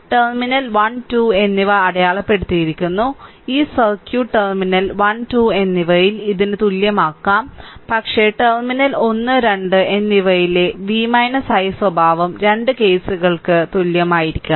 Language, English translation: Malayalam, And this circuit can be equivalent to this one at terminal 1 and 2, but v i characteristic at terminal one and two has to be same for both the cases right